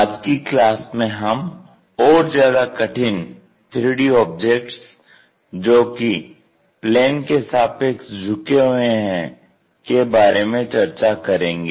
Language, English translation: Hindi, In today's class, we will look at more complicated three dimensional objects when they are inclined towards the planes, how to draw those pictures